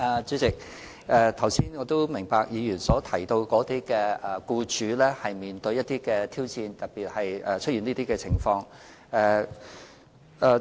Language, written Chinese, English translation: Cantonese, 主席，我明白議員剛才提到僱主面對的挑戰，特別是出現以上情況的時候。, President I understand the challenges faced by employers as mentioned by the Member especially when the above mentioned situations happen